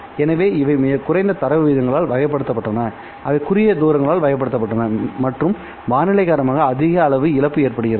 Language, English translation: Tamil, So, these were characterized by very low data rates, they were characterized by short distances and a high amount of loss because of the weather conditions